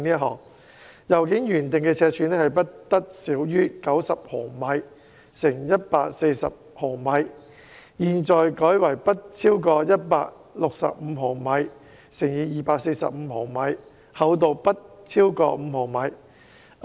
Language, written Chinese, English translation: Cantonese, 信件原訂的尺寸不得小於90毫米乘以140毫米，現在改為不超過165毫米乘以245毫米，厚度不超過5毫米。, The initial requirement was that the mail should be not smaller than 90 mm x 140 mm in size; it has now been revised to not larger than 165 mm x 245 mm and not thicker than 5 mm